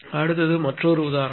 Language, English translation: Tamil, Now, I take another example